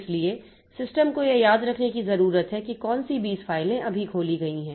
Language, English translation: Hindi, So, the system needs to remember which 20 files have been opened now